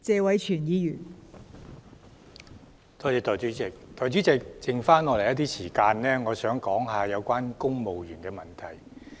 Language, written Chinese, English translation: Cantonese, 代理主席，我想以餘下發言時間談談有關公務員的問題。, Deputy President I would like to spend my remaining speaking time to talk about issues concerning the civil service